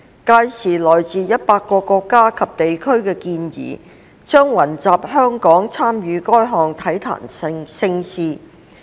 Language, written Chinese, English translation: Cantonese, 屆時來自100個國家及地區的健兒將雲集香港參與該項體壇盛事。, By then athletes from 100 countries and regions will gather in Hong Kong and take part in this major sports event